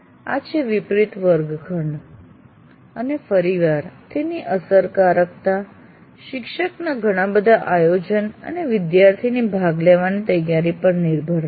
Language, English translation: Gujarati, So that is flipped classroom and once again its effectiveness will depend on a first teacher doing a lot of planning and also the fact students willing to participate